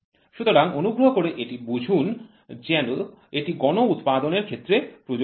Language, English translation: Bengali, So, please understand this is for mass production